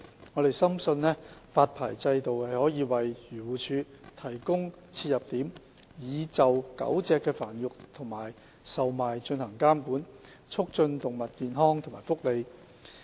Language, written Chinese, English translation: Cantonese, 我們深信，發牌制度可以為漁農自然護理署提供切入點，就狗隻的繁育及售賣進行監管，促進動物健康和福利。, We are convinced that the licensing regime will give an anchoring point for the Agriculture Fisheries and Conservation Department AFCD to regulate the breeding and trading of dogs with a view to promoting animal health and welfare